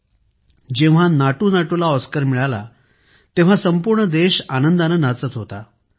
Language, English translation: Marathi, Friends, when NatuNatu won the Oscar, the whole country rejoiced with fervour